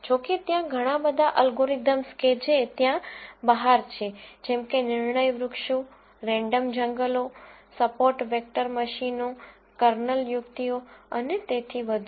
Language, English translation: Gujarati, However, the many many more algorithms that are out there such as decision trees, random forests, support vector machines, kernel tricks and so on